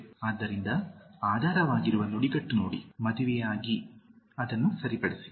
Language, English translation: Kannada, So, look at the underlying phrase, married with, correct it